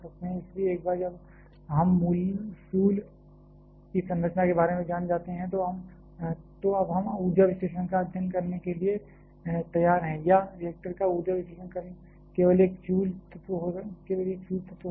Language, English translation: Hindi, So, once we know about structure of the fuel we are now ready to study the energy analysis or perform an energy analysis of a reactor may be just a single fuel element